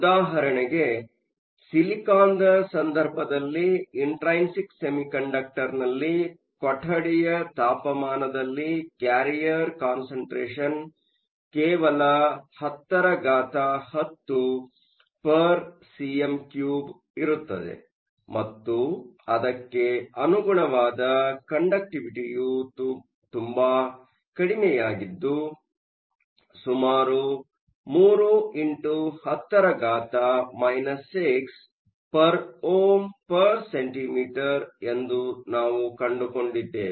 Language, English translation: Kannada, For example, in the case of silicon, we found that the room temperature carrier concentration in an intrinsic semiconductor was only 10 to the 10 per centimeter cube and the corresponding conductivity is very low, was around 3 times 10 to the minus 6 ohm inverse centimeters